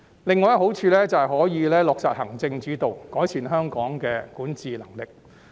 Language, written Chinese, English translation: Cantonese, 另一個好處是可以落實行政主導，改善香港的管治能力。, Another benefit is that the executive - led system can be implemented to improve the governance of Hong Kong